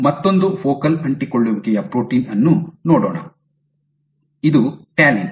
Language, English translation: Kannada, Let us look at another focal adhesion protein, this is talin